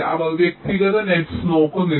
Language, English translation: Malayalam, they do not look at individual nets